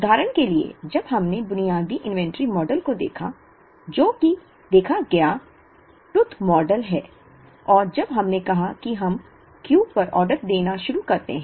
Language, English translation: Hindi, For example, when we looked at the basic inventory model, which is the saw tooth model and when we said we start ordering at Q